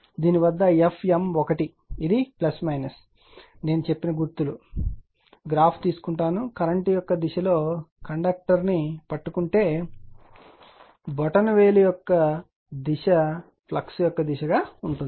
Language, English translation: Telugu, So, at this is your F m 1 this is plus minus sign I told you, I will take you graph the you grabs the conductor in the direction of the current the thumb will be the direction of the flux